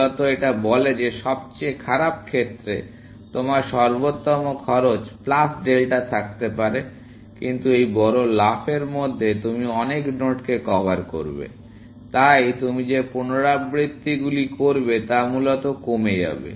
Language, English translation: Bengali, Basically, says that in the worst case, you may have optimal cost plus delta, but in this big jump, you would cover many nodes, so the number of iterations that you do would drop, essentially